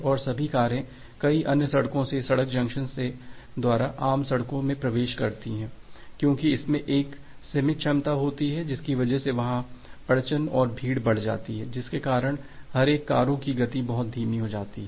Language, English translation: Hindi, And all the cars are going to enter to a common road from multiple others road and in the road junction because it has a finite capacity, that becomes the bottleneck and the congestion becomes there, because of which the speed of individual cars become very slow